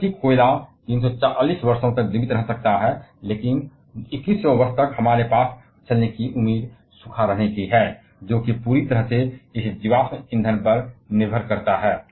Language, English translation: Hindi, Whereas, coal may survive for 340 years more, but by the year 2100 we are expected to run dry, if we keep on depending solely on this fossil fuels